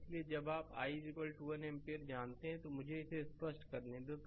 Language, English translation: Hindi, So, when you know the i is equal to 1 ampere, let me clear it right